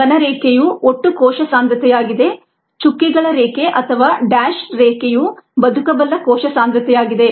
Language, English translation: Kannada, the solid line is a total cell concentration, the ah dotted line or the dash line, is the viable cell concentration